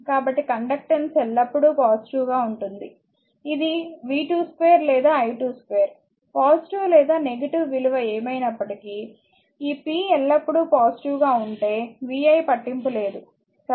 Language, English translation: Telugu, So, conductance is always positive it is v square or i square; whatever may be the positive or negative value, vi does not matter if this p is always positive, right